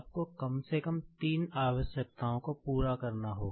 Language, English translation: Hindi, You will have to fulfill at least three requirements